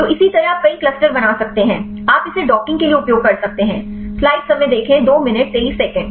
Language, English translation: Hindi, So, likewise you can create several clusters and from this clusters; you can identify the sample structures; you can use it for the docking